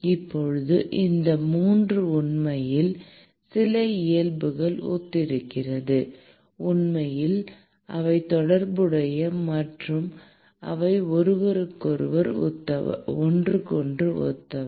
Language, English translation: Tamil, Now, these 3 are actually similar in some nature and in fact, therefore, they are related and they are analogous to each other